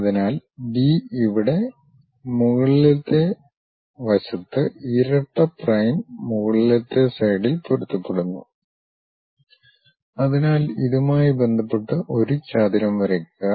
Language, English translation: Malayalam, So, B here B double prime matches on the top side; so, with respect to that draw a rectangle